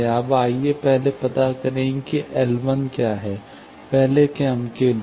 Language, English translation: Hindi, Now, let us first find what are the L 1s, first order loops